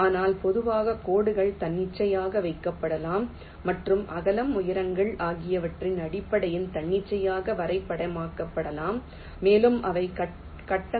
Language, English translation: Tamil, but in general, the lines can be arbitrarily placed and also arbitrarily shaped in terms of the width, the heights, and also need not be aligned to the grids